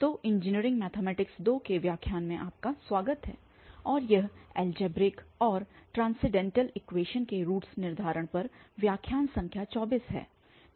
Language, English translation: Hindi, So, welcome back to lectures on Engineering Mathematics II and this is lecture number 24 on Determination of Roots of Algebraic and Transcendental Equations